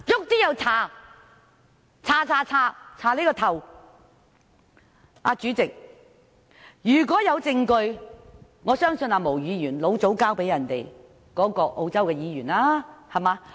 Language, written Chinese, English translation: Cantonese, 代理主席，如果有證據的話，我相信毛議員早已把證據交給澳洲國會議員。, Deputy President if there is evidence I think Ms MO should have handed it to Members of the Australian Parliament back then